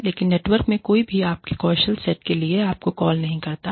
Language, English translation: Hindi, But, nobody in the network, calls upon you, for your skills set